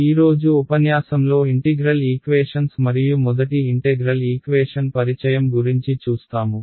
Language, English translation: Telugu, Today’s lecture is going to be about Integral Equations and your very first Introduction to an Integral Equation